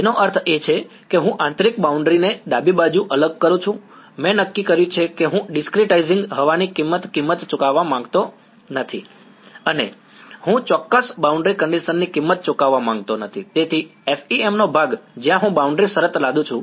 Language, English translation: Gujarati, That means, I discretize the interior boundary left is what, I have decided I do not want to pay the price of discretizing air and I do not want to pay the price of inexact boundary condition; so, the part of the FEM, where I impose the boundary condition